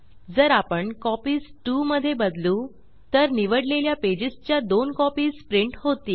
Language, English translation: Marathi, If we change Copies to 2, then 2 copies of the selected pages will be printed